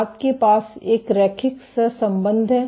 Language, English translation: Hindi, You have a linear correlation